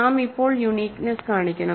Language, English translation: Malayalam, We have to now show uniqueness